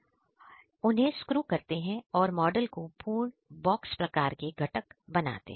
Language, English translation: Hindi, We fit these parts, screw them and make the model complete, box type component